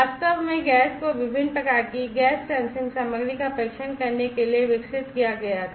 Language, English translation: Hindi, In fact, the lab was developed to test a variety of gas sensing materials